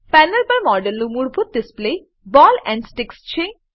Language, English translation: Gujarati, The default display of the model on the panel is of ball and stick